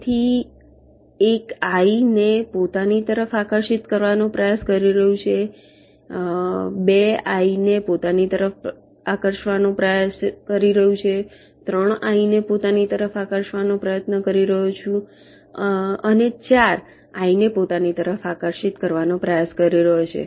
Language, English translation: Gujarati, so one is trying to attract i toward itself, two is trying to attract i towards itself, three is trying to attract i toward itself and four is trying to attract i towards itself